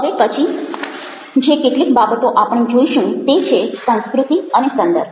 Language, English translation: Gujarati, so the next few things that you are going to look at will be culture and context